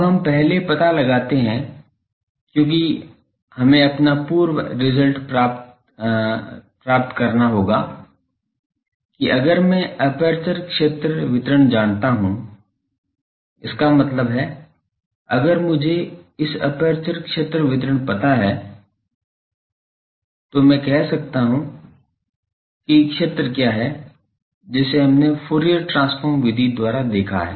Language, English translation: Hindi, Now, we first find out because, we will have to put our previously derived result that if I know the aperture field distribution; that means, if I know the field distribution on this aperture I will be able to say what is the field, that we have seen the by Fourier transformer method etc